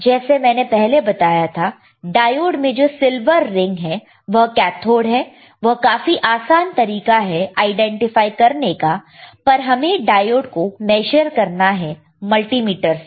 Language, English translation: Hindi, I told you there is a silver ring on the diode that is easy way of identifying it, but we have to measure the diode with the multimeter